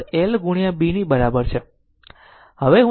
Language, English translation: Gujarati, So, now let me clear it